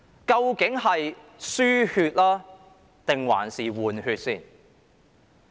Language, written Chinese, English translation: Cantonese, 究竟是"輸血"還是"換血"？, Is this an importation of new blood or a replacement exercise?